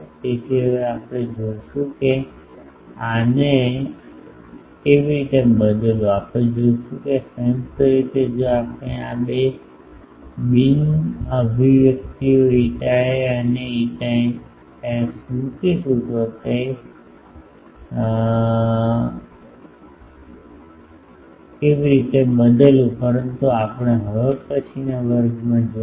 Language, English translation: Gujarati, So, now we will see that how to manipulate these, that we will see that this jointly if we put this two expressions eta A and eta S how to manipulate that, but that we will see in the next class